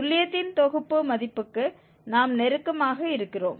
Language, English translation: Tamil, We are close to the set value of the accuracy